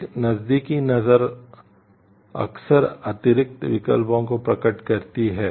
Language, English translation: Hindi, A closer look often reveals additional options